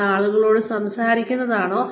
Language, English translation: Malayalam, Is it talking to people